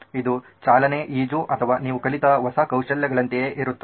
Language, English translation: Kannada, This is about just like driving, swimming or new skills that you have learnt